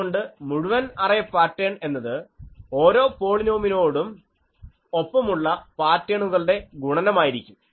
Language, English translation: Malayalam, Also so, the total arrays pattern is the product of the patterns associated with each polynomial by itself